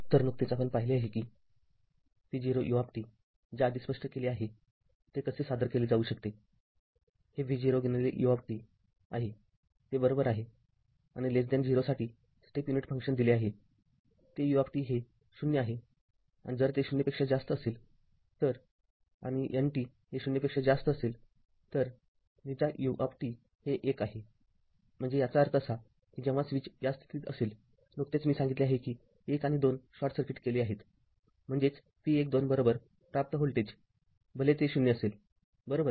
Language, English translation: Marathi, So we just we have seen that your v 0 u t that we have explained already how it can be represented this is v 0 into u t, it is right and step unit function we have given for t less than 0, that u t is 0 and it is if it is greater than 0 then t greater than 0, then u t is 1; so that means, when the switch in this position just we have explained 1 and 2 are short circuited; that means, your v 1 2 is equal to your output voltage whatever it is that is 0 right